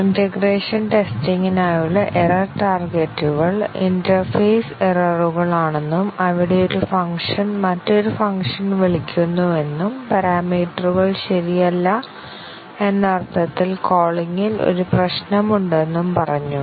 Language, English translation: Malayalam, And said that the error targets for integration testing are the interface errors, where one function calls another function, and there is a problem in the calling in the sense that the parameters are not proper